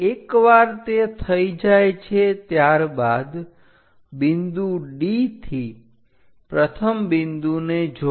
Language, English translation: Gujarati, Once it is done from D point connect first point